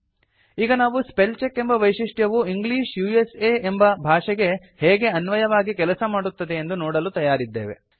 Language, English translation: Kannada, So we are now ready to see how the spellcheck feature works for the language, English USA